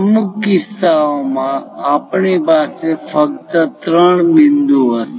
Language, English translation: Gujarati, In certain instances, we might be having only three points